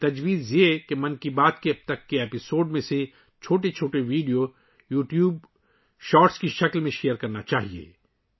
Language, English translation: Urdu, The suggestion is to share short videos in the form of YouTube Shorts from earlier episodes of 'Mann Ki Baat' so far